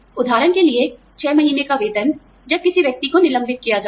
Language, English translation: Hindi, For example, six month salary, when a person is laid off